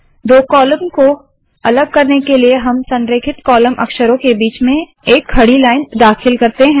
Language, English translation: Hindi, To separate the two columns, we introduce a vertical line between the column alignment characters